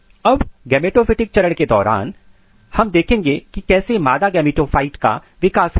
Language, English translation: Hindi, Now, during the gametophytic phase, so we will look how female gametophyte developments occurs